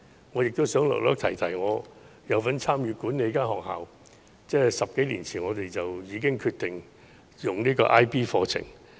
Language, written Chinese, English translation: Cantonese, 我亦想稍提我有份參與管理的學校，在10多年前便已決定採用 IB 課程。, I would also like to briefly mention the school of which I am part of the management . The school decided to offer IB programmes more than 10 years ago